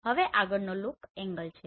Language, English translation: Gujarati, Now next one is look angle